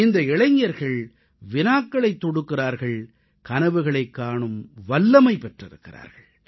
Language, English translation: Tamil, Those youth who have dared to ask questions and have had the courage to dream big